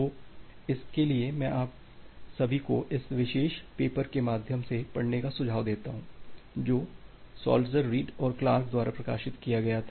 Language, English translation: Hindi, So, for that I suggest all of you to read through this particular paper which was which was published by Saltzer Reed and Clark